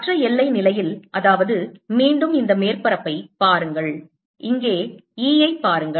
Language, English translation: Tamil, in other boundary condition is that again, look at in this surface, look at e here: e on side one, e on side two